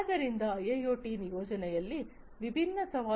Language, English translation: Kannada, So, there are different challenges in the deployment of IIoT